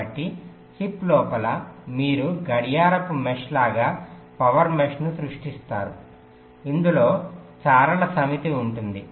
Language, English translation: Telugu, so inside the chip you create a power mesh, just like a clock mesh, consisting of a set of stripes